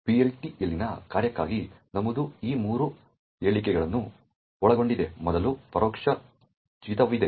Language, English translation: Kannada, The entry for a function in the PLT comprises of these three statements, first there is an indirect jump